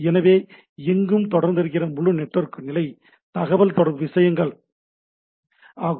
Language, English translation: Tamil, So, this is the ubiquitousness of this whole network level communication things, right